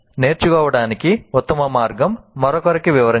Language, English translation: Telugu, So the best way to learn is to explain it to somebody else